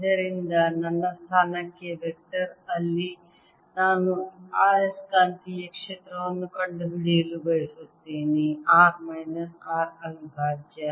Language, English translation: Kannada, the vector from this to my position, where i want to find the magnetic field, is r minus r prime